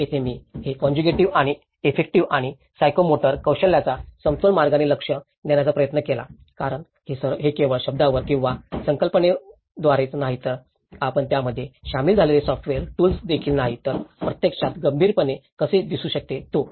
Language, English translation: Marathi, Here, this the cognitive and effective and the psychomotor skills I tried to addressed in a balanced way because it is not just only by theories and concepts you put it on word and or even the software tools plugging in it but how one can actually critically look at it